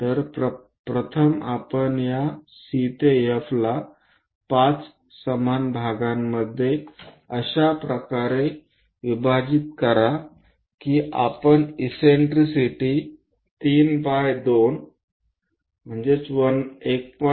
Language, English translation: Marathi, So, first, we divide this C to F into 5 equal parts in such a way that eccentricity 3 by 2 are 1